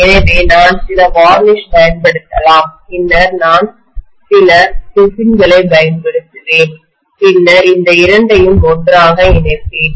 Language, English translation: Tamil, So I may just apply some varnish, then I will apply some resin, then I will stick these two together, right